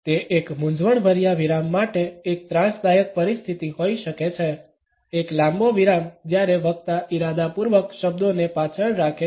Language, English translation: Gujarati, It can be an awkward in embarrassing pause, a lengthy pause when the speaker deliberately holds back the words